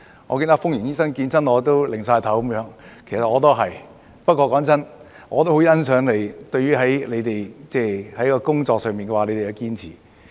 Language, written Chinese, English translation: Cantonese, 我記得封螢醫生每次見到我都搖頭，其實我亦一樣，但老實說，我也很欣賞你們在工作上的堅持。, I remember Dr FUNG Ying shaking her head every time she sees me and so do I . But frankly speaking I appreciate your perseverance in your work